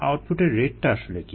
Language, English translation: Bengali, what is the rate of output